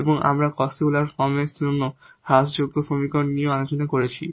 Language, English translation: Bengali, So, this is the Cauchy Euler equation which we know that how to solve by this substitution